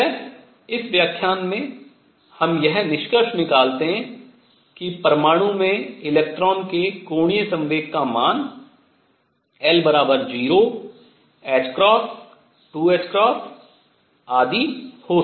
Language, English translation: Hindi, So, to conclude this what we have learnt in this lecture is that angular momentum of electron in an atom could have values l equals 0, h cross, 2 h cross and so on